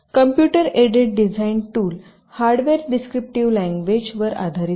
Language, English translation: Marathi, ok, so this computed design tools are based on hardware description languages